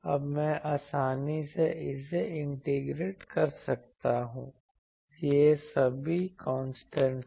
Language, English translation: Hindi, Now, I can easily integrate this, these are all constants